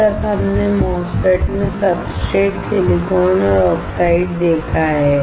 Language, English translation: Hindi, Until now we have seen substrate, silicon and oxide in a MOSFET